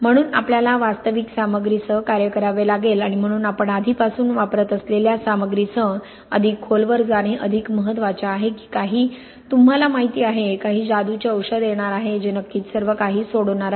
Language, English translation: Marathi, So we have to work with real materials and therefore it is more important to go deeper with materials which we were using already than to think that some, you know, some magic potion is going to come along which is certainly going to solve everything